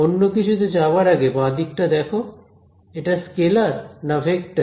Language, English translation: Bengali, So, before we get in to anything look at the left hand side is a left hand side a scalar or a vector